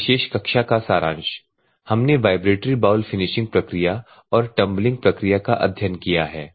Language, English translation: Hindi, So, the Summary of this particular class we have studied vibratory bowl finishing and tumbling